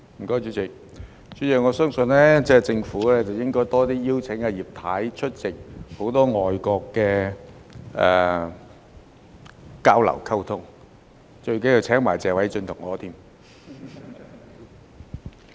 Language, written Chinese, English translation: Cantonese, 代理主席，我相信政府應該多些邀請葉太出席多些與外國的交流和溝通，最重要的是要一併邀請謝偉俊議員和我。, Deputy President I believe that the Government should invite Mrs Regina IP more often to attend more exchanges with foreign countries to foster communication . Most importantly Mr Paul TSE and I should also be among those invited